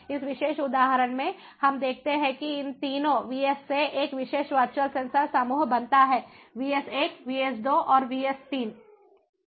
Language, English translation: Hindi, in this particular example, we see that a particular virtual sensor group is formed out of these three vss, the vss vs one, vs two and vs three